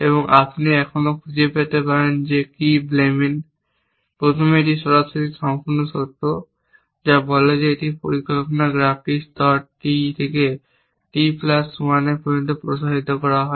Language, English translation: Bengali, you might still find and what Blamen, first this is straightly complete condition which says that if extend the planning graph from layer T to T plus 1